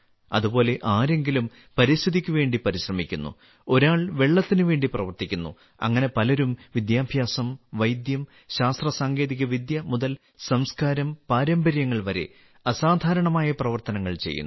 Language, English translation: Malayalam, Similarly, some are making efforts for the environment, others are working for water; many people are doing extraordinary work… from education, medicine and science technology to culturetraditions